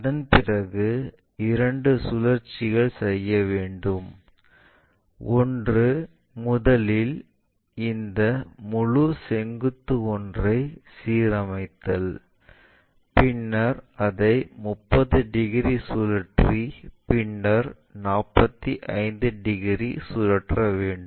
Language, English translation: Tamil, After that because two rotations we have to do; one is first aligning this entire vertical one, then rotating it by 30 degrees then flipping it by 45 degrees